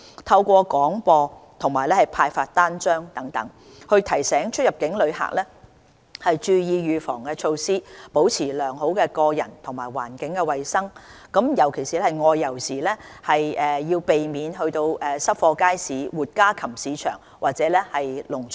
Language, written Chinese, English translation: Cantonese, 透過廣播及派發單張等，提醒出入境旅客注意預防措施，保持良好的個人及環境衞生，外遊時尤其避免到濕貨街市、活家禽市場或農場。, to remind inbound and outbound travellers to take heed of the preventive measures and maintain good personal and environmental hygiene . When travelling outside Hong Kong one should avoid visiting wet markets live poultry markets or farms